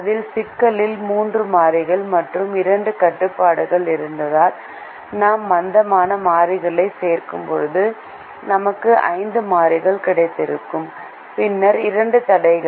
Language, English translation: Tamil, if the original problem itself had three variables and two constraints, then when we add the slack variables, we would have got five variables and then two constraints